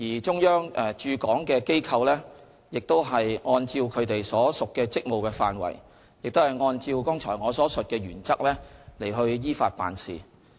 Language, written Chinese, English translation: Cantonese, 中央駐港機構亦按照其所屬職務的範圍及按照我剛才所述的原則依法辦事。, The offices set up by the Central Authorities in Hong Kong also act legally within the parameters of their respective functions and on the basis of the above mentioned principles